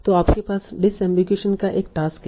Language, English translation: Hindi, So there is a problem of disambigration here